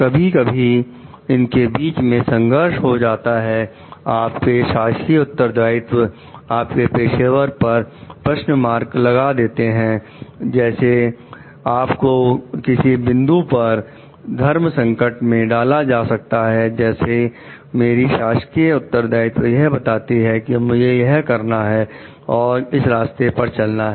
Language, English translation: Hindi, Sometimes, these may come into conflict your official responsibilities may put a question mark on your professional like you maybe put a point of dilemma like my official responsibilities tell me to do this, follow this path